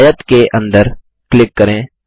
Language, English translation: Hindi, Click inside the rectangle